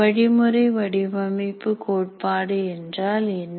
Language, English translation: Tamil, What is the design oriented theory